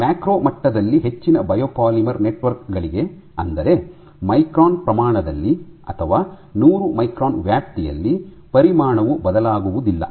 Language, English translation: Kannada, So, for most biopolymer networks at the macro molecular level; that means, at the micron scale or 100s of microns range, the volume does not change